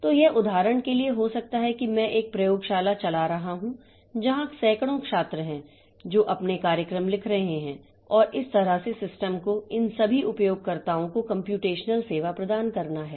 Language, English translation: Hindi, So, it can be for example, maybe I am running a laboratory class where there are hundreds of students who are writing their programs and that way the system has to provide computational service to all these users